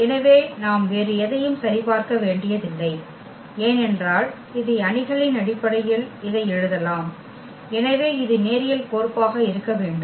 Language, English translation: Tamil, So, we do not have to check anything else because we can write down this as this in terms of the matrix and therefore, this has to be a linear maps